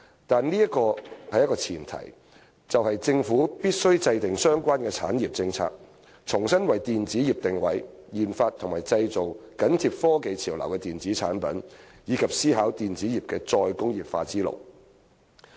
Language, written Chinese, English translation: Cantonese, 但是，這有一個前提，就是政府必須制訂相關的產業政策，重新為電子業定位，研發及製造緊貼科技潮流的電子產品，以及思考電子業的"再工業化"之路。, However the preconditions are that the Government must formulate relevant industry policies; reposition the electronics industry; engage in the research development and manufacture of electronic products that closely follow technological trends; and contemplate the re - industrialization of the electronics industry